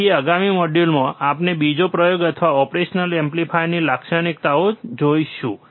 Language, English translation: Gujarati, So, in the next module, we will see another experiment, or another characteristics of an operational amplifier